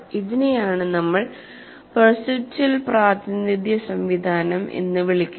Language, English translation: Malayalam, This is what we call perceptual representation system